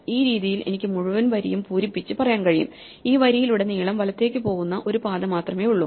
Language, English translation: Malayalam, In this way I can fill up the entire row and say that all along this row there is only one path namely the path that starts going right and keeps going right